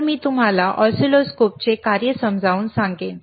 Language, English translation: Marathi, So, I will explain you the function of oscilloscope,